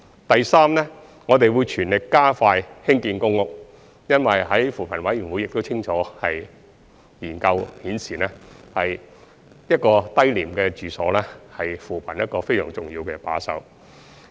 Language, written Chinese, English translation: Cantonese, 第三，我們會全力加快興建公屋，因為扶貧委員會的研究已清楚顯示，低廉住所是扶貧工作一個非常重要的把手。, Thirdly we will vigorously speed up PRH construction because as clearly revealed in the study carried out by the Commission on Poverty cheap housing plays a very important role in the implementation of poverty alleviation initiatives